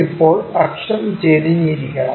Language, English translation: Malayalam, Now, axis has to be inclined